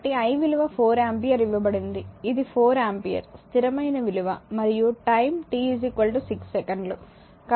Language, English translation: Telugu, So, i is given 4 ampere this is your 4 ampere the constant and your time t is 6 second